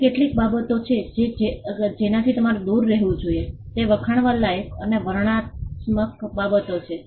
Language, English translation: Gujarati, Now, certain things that you should avoid are laudatory and descriptive matters